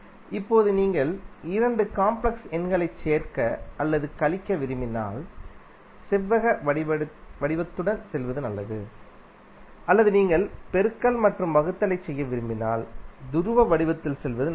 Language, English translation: Tamil, Now if you want to add or subtract the two complex number it is better to go with rectangular form or if you want to do multiplication or division it is better to go in the polar form